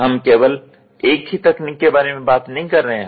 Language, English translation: Hindi, We do not talk about one technology